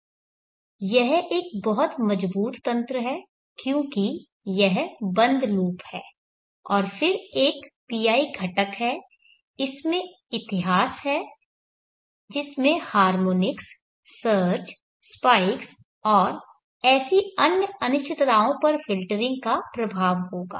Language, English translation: Hindi, This is a very robes mechanism because it is close loop and then there is a pi component there is history in it which will filtering effect on harmonings, surges, spikes and such than uncertainties